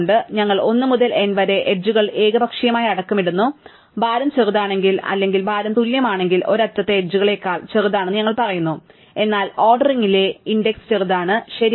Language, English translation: Malayalam, So, we just number the edges arbitrarily 1 to n and we say that one edge is smaller than the edges smaller way if either the weight is actually is smaller or the weights are equal, but the index in the ordering is small, right